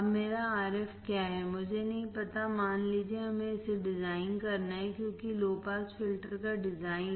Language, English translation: Hindi, Now, what is my Rf, I do not know suppose we have to design it right, because design of low pass filter